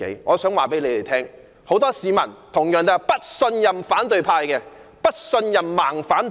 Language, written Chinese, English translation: Cantonese, 我想告訴他們，很多市民同樣不信任反對派、"盲反派"。, I wish to tell them that many people also distrust the opposition camp―the blind opposition . Let me first talk about filibustering